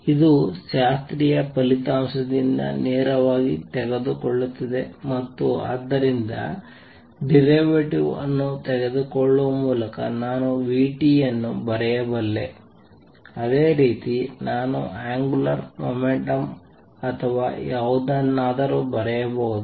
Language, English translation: Kannada, This is taking directly from the classical result and therefore, I could write vt by taking the derivative similarly I can write angular momentum or whatever